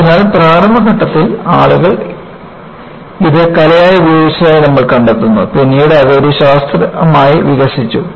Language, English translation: Malayalam, So, in the initial stages, you find that people used it as art, later it developed into a science